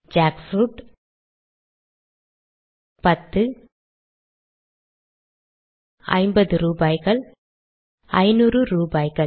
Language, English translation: Tamil, Jackfruit 10 of them 50 rupees 500 rupees